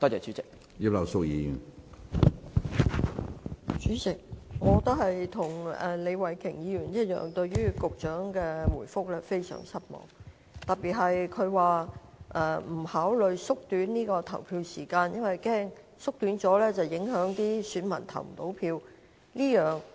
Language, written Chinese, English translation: Cantonese, 主席，與李慧琼議員一樣，我對於局長的答覆，特別是他提及縮短投票時間或會令選民無法投票的說法，感到非常失望。, President like Ms Starry LEE I am very disappointed with the Secretarys reply particularly the argument mentioned by him that shortening the polling hours may render some electors unable to vote